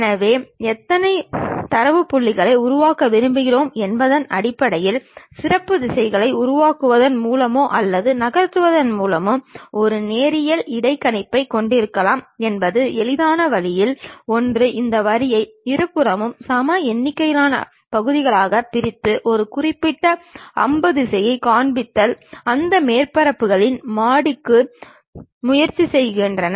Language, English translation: Tamil, So, based on how many data points we would like to construct one can have a linear interpolation by creating or moving along a specialized directions one of the easiest way is dividing this line into equal number of parts on both sides and showing one particular arrow direction and try to loft along that surfaces